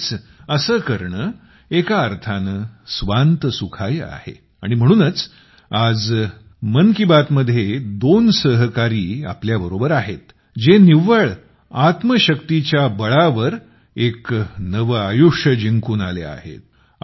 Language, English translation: Marathi, In a way, it is just 'Swant Sukhay', joy to one's own soul and that is why today in "Mann Ki Baat" two such friends are also joining us who have won a new life through their zeal